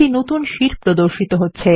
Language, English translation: Bengali, This opens the new sheet